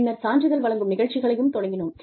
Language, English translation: Tamil, Then, we started with, offering certificate programs